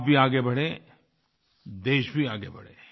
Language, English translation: Hindi, You should move forward and thus should the country move ahead